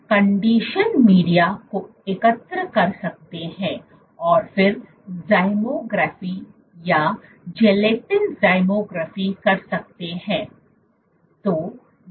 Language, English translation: Hindi, So, you can collect the conditioned media and then do zymography or gelatin zymography